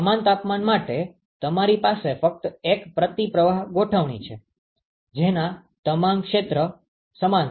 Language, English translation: Gujarati, The same temperatures, you just have a counter flow configuration that is all the area is same